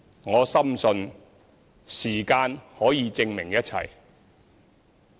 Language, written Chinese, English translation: Cantonese, 我深信，時間可以證明一切。, I am convinced that time will prove everything